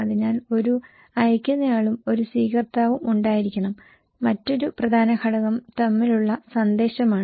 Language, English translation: Malayalam, So, there should be one sender, one receiver and another important component is the message between